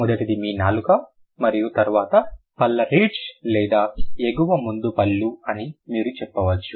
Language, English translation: Telugu, One is, the first is your tongue and then there is the teeth or the, or you can say the upper front teeth